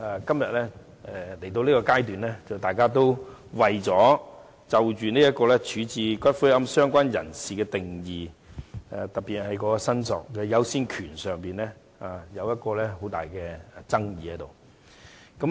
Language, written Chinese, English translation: Cantonese, 不過，今天來到這個階段，大家就處置骨灰的"相關人士"的定義、特別是在申索優先權方面有很大爭議。, Nevertheless at this stage today Members are sharply divided on the definition of related person in relation to the disposal of ashes particularly the order of priority of claim